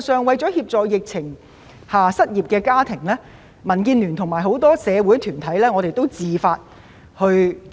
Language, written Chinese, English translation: Cantonese, 為了協助在疫情下失業的家庭，民建聯及很多社會團體也自發做了一些工作。, In order to help households affected by unemployment due to the epidemic DAB and many social organizations have taken the initiative to do some work